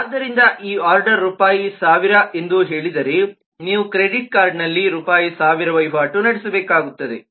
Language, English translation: Kannada, so if this order is for rupees, say, 1000, then you will need to have rupees 1000 transaction on the credit card